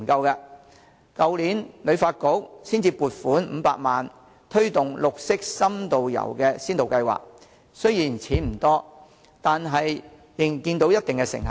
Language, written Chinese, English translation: Cantonese, 香港旅遊發展局去年才獲撥款500萬元推動綠色深度遊先導計劃，雖然錢不多，但仍看到一定成效。, It was not until last year that the Hong Kong Tourism Board HKTB allocated 5 million to implement a pilot scheme to promote in - depth green tourism . Although this is not a large amount of money certain effect can still be seen